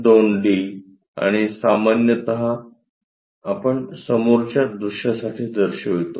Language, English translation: Marathi, 2 d and usually, we show that for the front view